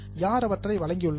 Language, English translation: Tamil, Who have provided those